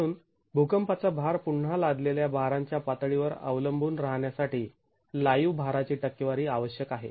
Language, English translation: Marathi, So the seismic weight again requires a percentage of the live load to be accounted for depending on the level of imposed loads